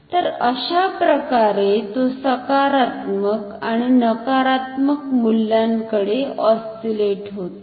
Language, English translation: Marathi, So, this way it will oscillate between positive and negative value